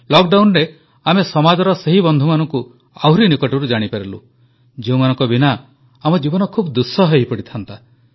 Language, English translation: Odia, During the lockdown, we closely came to know about those members of society, without whom our lives would be miserable